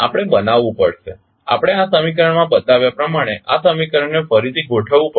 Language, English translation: Gujarati, We have to construct, we have to rearrange this equation as shown in this equation